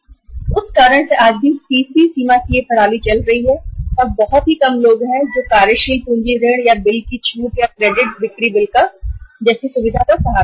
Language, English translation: Hindi, So because of that reason this system of the CC limit even today is also going on and very few people are resorting to the working capital loan or the discounting of the bills, credit sale bills facility